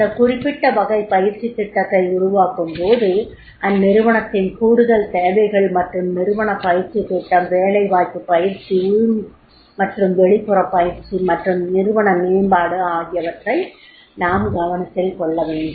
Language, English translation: Tamil, How we develop that particular type of the training programs, additional needs and the enterprise training plan on the job training, internal and external training and organization development that we have to see that is the how we can develop